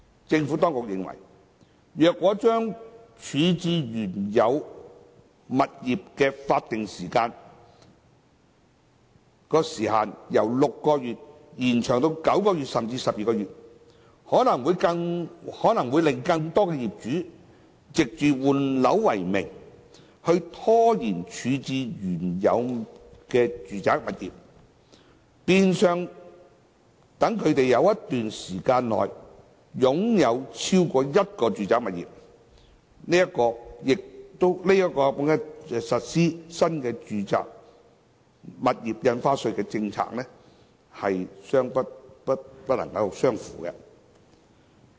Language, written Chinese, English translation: Cantonese, 政府當局認為，如果將處置原有物業的法定時限由6個月延長至9個月甚至12個月，可能會令更多業主藉着換樓為名拖延處置原有的住宅物業，變相讓他們在一段長時間內擁有超過一個住宅物業，這亦與實施新住宅印花稅的政策目標不相符。, The Administration is of the view that if the statutory time limit for disposing of the original property is extended from 6 months to 9 months or even 12 months it may result in a situation where more property owners may delay the disposal of their original residential property under the guise of property replacement which in effect allows them to hold more than one residential property for a long period of time . This is also inconsistent with the policy objective of implementing the NRSD measure